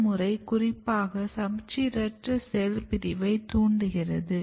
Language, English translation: Tamil, One and very important step of differentiation is asymmetric cell division